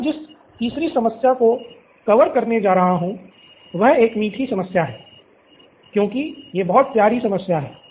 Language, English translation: Hindi, The 3rd problem that I am going to cover is a sweet problem as I call it, it’s a very sweet problem